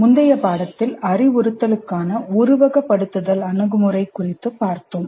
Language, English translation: Tamil, In the earlier unit, we saw the simulation approach to instruction to instruction